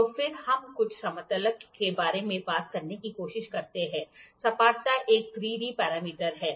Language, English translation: Hindi, So, then we try to talk about something called as flatness, the flatness is a 3D parameter